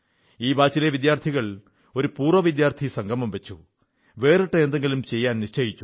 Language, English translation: Malayalam, Actually, students of this batch held an Alumni Meet and thought of doing something different